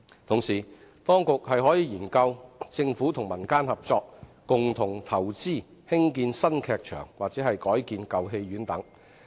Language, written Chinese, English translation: Cantonese, 同時，當局可研究政府與民間合作，共同投資興建新劇場或改建舊戲院等。, Meanwhile the authorities can study collaboration between the Government and the community . They can invest together in the construction of new theatres or rebuilding of old cinemas